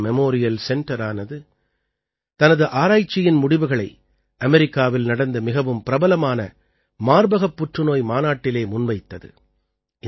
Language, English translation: Tamil, Tata Memorial Center has presented the results of its research in the very prestigious Breast cancer conference held in America